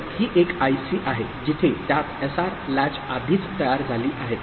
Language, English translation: Marathi, So, this is one IC where within it, the SR latch is already made, ok